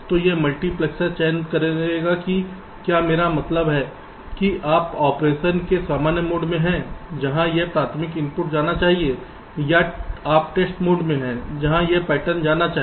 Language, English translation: Hindi, so this multiplexor will be selecting whether i mean you are in the normal mode of operation, where this primary input should go in, or you are in the test mode where this pattern should go in